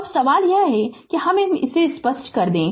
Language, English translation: Hindi, So, question is now that let me clear it